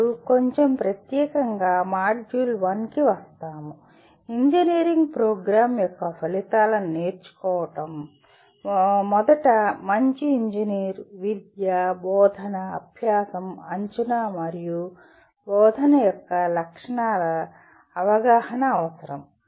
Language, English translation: Telugu, Now coming to module 1 a little more specifically, learning outcomes of an engineering program, first require an understanding of characteristic of a good engineer, education, teaching, learning, assessment, and instruction